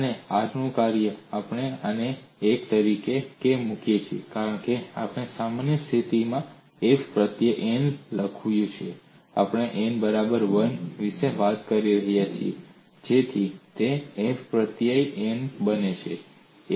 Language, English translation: Gujarati, It is because we have also written in the generic situation f suffix n; we are now talking about n equal to 1 so it becomes f suffix 1